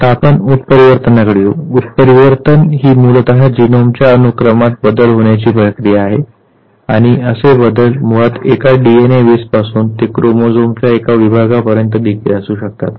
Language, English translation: Marathi, Now we come to mutation, Mutation basically is a process of change in the genomic sequence and such changes basically it could range from a single DNA base to a segment of a chromosome